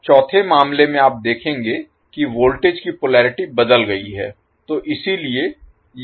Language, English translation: Hindi, Now, in the 4th case, you will see the polarity for voltages change